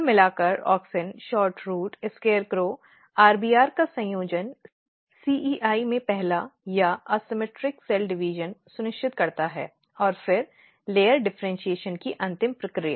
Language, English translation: Hindi, But overall what happens the combination of auxin SHORTROOT SCARECROW RBR basically ensures the first or the asymmetric cell division in CEI and then eventual process of layer differentiation